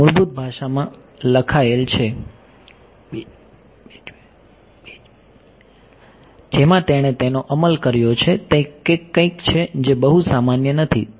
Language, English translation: Gujarati, It is written in the basic language in which it have implemented it, is something which is not very common ok